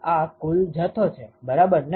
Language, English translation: Gujarati, This is total quantity right